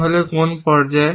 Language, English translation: Bengali, So, till what stage